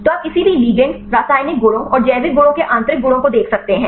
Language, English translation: Hindi, So, you can see intrinsic properties of any ligand chemical properties and the biological properties right